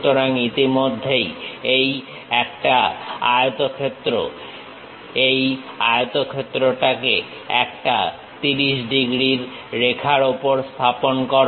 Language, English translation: Bengali, So, already it is a rectangle, transfer this rectangle onto a 30 degrees line